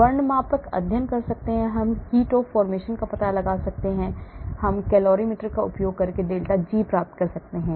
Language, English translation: Hindi, colorimetric studies, we can find out heat of the formation, we can get delta G , using some colorimeter